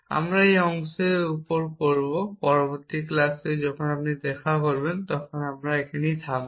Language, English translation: Bengali, We will upon this part, little bit in the next class when you meet will stop here